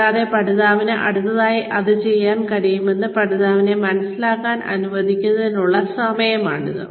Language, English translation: Malayalam, And, it is now time for you, to let the learner understand, what the learner can do next